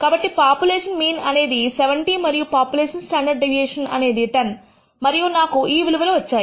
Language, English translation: Telugu, So, the population mean is 70 and the population standard deviation is 10 and I got these values